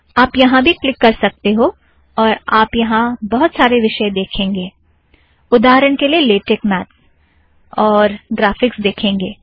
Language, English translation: Hindi, You can also click this, you can see lots of things, for example, you can see latex maths and graphics